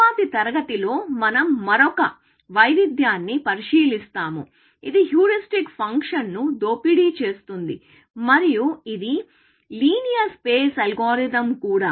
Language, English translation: Telugu, In the next class, we will look at another variation, which exploits the heuristic function, and which is also linear space algorithm